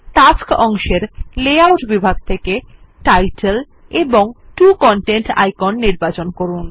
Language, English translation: Bengali, From the Layout section on the Tasks pane, select Title and 2 Content icon